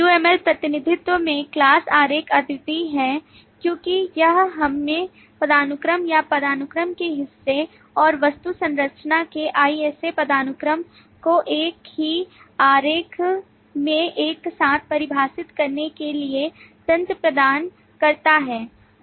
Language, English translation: Hindi, Class diagram is unique in the UML representation because it provides us the mechanism to define the part of hierarchy or the object structure and the IS A hierarchy of the class structure together in the same diagram